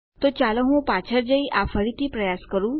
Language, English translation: Gujarati, So, let me go back and try this again